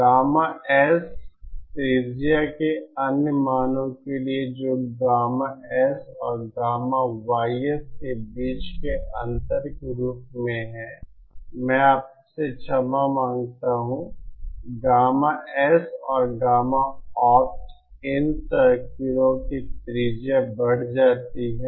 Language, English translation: Hindi, For other values of gamma S radius that is as the difference between gamma S and gamma YS, I beg your pardon gamma S and gamma opt increases the radius of these circles increases